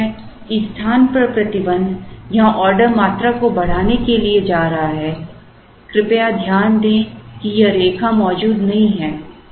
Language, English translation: Hindi, Obviously a restriction on the space is going to increase the order quantity somewhere here, please note that this line does not exist